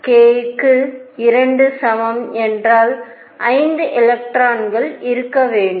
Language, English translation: Tamil, And for k equals 2 there should be 5 electrons